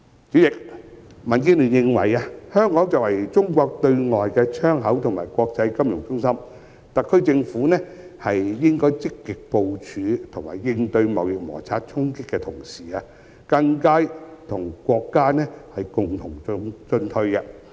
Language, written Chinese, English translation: Cantonese, 主席，民建聯認為，香港作為中國對外的窗口和國際金融中心，特區政府在積極部署和應對貿易摩擦衝擊的同時，更應與國家共同進退。, President the Democratic Alliance for the Betterment and Progress of Hong Kong holds that as Hong Kong is Chinas window to the world and an international financial centre the SAR Government should go through thick and thin together with our country while proactively mapping out a plan to cope with the impacts brought about by the trade conflict